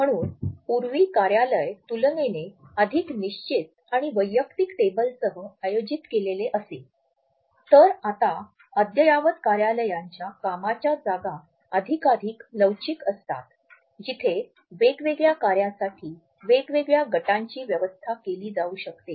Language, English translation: Marathi, So, if in the past the office was arranged with a relatively more fixed and individual desks, now with the beginning of the smart office trend the workstations become more and more flexible where different teams can be arranged for different works